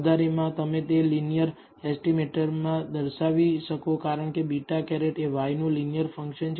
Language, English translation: Gujarati, Moreover you can show that among all linear estimators because beta hat is a linear function of y